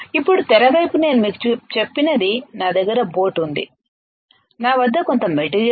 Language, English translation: Telugu, The screen now, what I told you is I have a boat I have some material right